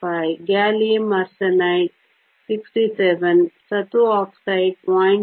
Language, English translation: Kannada, 55, gallium arsenide 67, zinc oxide 0